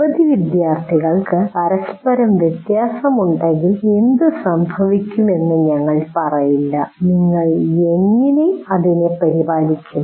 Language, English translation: Malayalam, We will not say what happens if so many students are differ from each other, how do you take care of it